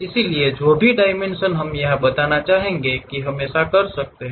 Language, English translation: Hindi, So, whatever the dimension we would like to really specify that we can do that